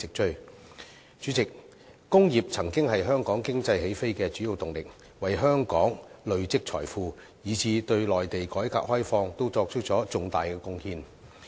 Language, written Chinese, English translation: Cantonese, 代理主席，工業曾經是香港經濟起飛的主要動力，為香港累積財富，以致對內地的改革開放亦作出重大貢獻。, Deputy President industries had once been the major force driving the take - off of the Hong Kong economy enabling Hong Kong to accumulate wealth and in turn make significant contribution to the reform and opening up of the Mainland